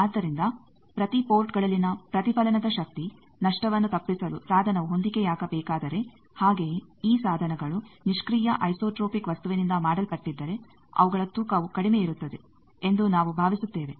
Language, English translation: Kannada, So, we want that at all the ports if the device should be matched to avoid power loss in reflection also there is a need that these devices if they are made of a passive an isotropic material then their weight is less